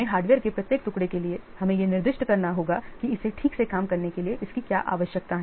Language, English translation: Hindi, Then for each piece of hardware specify what it needs in order to function properly